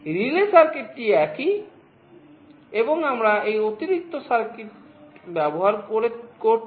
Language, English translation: Bengali, The relay circuit is the same, and this is the additional circuit we are using